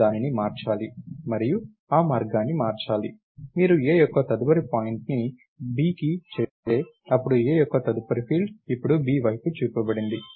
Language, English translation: Telugu, We need to change that and the way to do that is, if you make A’s next point to B, then A’s next field pointed to B now